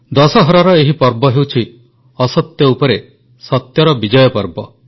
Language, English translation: Odia, The festival of Dussehra is one of the triumph of truth over untruth